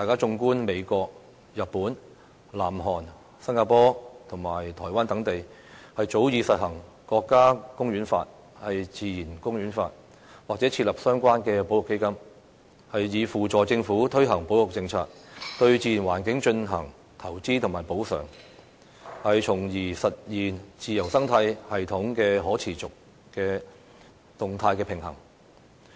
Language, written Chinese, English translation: Cantonese, 綜觀美國、日本、南韓、新加坡及台灣等地，早已實行《國家公園法》、《自然公園法》，或設立相關的保育基金，以扶助政府推行保育政策，對自然環境進行投資及補償，從而實現自然生態系統可持續的動態平衡。, An overview of the United States Japan South Korea Singapore and Taiwan shows that these places already began to enforce their respective National Parks Acts and Natural Parks Acts long ago or have set up relevant conservation funds as support for their Governments implementation of conservation policies investment in the natural environment and compensation with a view to sustaining the dynamic balance in their ecological systems